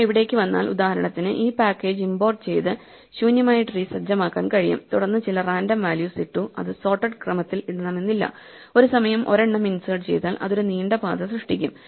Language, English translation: Malayalam, Now if we go to this then we can for instance import this package set up an empty tree and then put in some random values it is important not put in sorted order, otherwise a sorted tree if you just insert one at a time it will just generate one long path